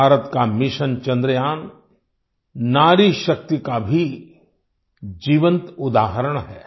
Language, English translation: Hindi, India's Mission Chandrayaan is also a live example of woman power